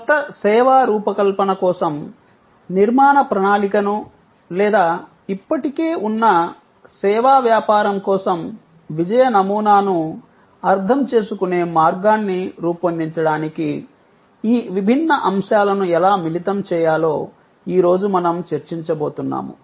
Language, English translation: Telugu, Today, we are going to discuss, how do we combine these different elements to create an architectural plan for a new service design or a way of understanding the success model for an existing service business